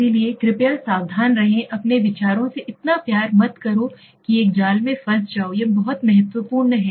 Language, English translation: Hindi, So please be careful do not love your ideas so much that you get into a trap, this is very important